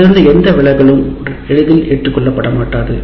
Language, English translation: Tamil, So any deviation from this is not easily acceptable